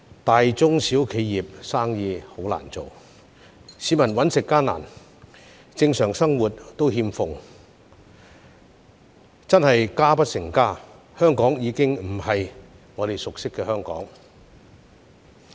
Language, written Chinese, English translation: Cantonese, 大、中、小企業經營困難，市民糊口艱難，正常生活欠奉，真是家不成家，香港已經不是我們熟悉的香港。, While enterprises ranging from small to large are operating in difficulty members of the public are struggling to make ends meet . Not only that we have lost our normal life we have also lost our sweet home as Hong Kong is no longer the Hong Kong we used to know